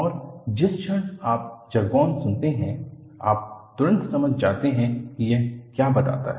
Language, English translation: Hindi, And, the moment you listen to the jargon, you immediately understand what it conveys